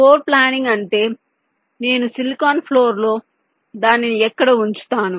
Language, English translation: Telugu, floor planning means approximately where i will place it on the silicon floor